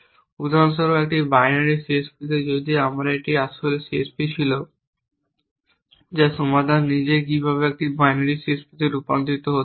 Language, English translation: Bengali, For example, into a binary CSP if this was my original CSP which is the solution itself how can converted into a binary CSP